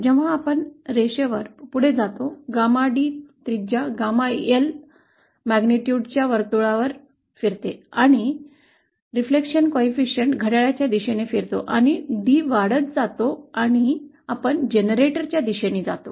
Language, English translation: Marathi, As we move along the line, Gamma D moves along a circle of radius Gamma L magnitude and the reflection coefficient rotates clockwise as D increases and we move towards the generator